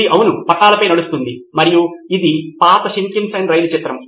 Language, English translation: Telugu, It runs on tracks yes and this is the picture of an oldish Shinkansen train